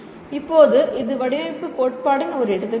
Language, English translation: Tamil, Now, this is one example of design theory